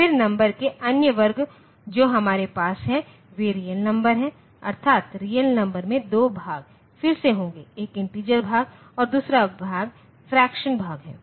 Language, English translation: Hindi, Then, other class of numbers that we have are the real numbers, that is, real numbers will have 2 parts again; one is the integer part and the other part is the fractional part